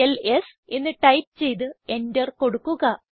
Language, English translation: Malayalam, So lets type ls and press Enter